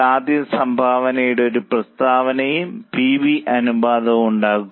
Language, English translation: Malayalam, Firstly make a statement of contribution and for PV ratio